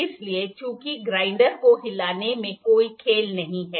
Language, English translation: Hindi, So, as there is no play in moving of the grinder